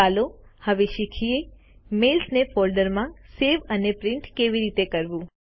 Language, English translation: Gujarati, Let us now learn how to save a mail to a folder and then print it